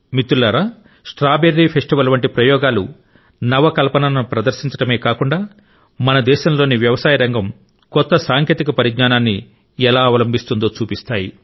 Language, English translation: Telugu, experiments like the Strawberry Festival not only demonstrate the spirit of Innovation ; they also demonstrate the manner in which the agricultural sector of our country is adopting new technologies